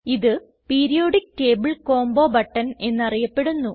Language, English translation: Malayalam, This button is known as Periodic table combo button